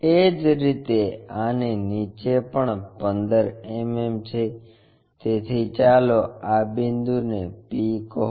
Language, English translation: Gujarati, Similarly, 15 mm below this one also, so let us call this point p